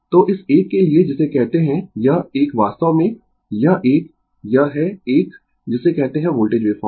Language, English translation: Hindi, So, for this one ah this one your what you call ah this one actually this one, this is a your what you call the voltage wave form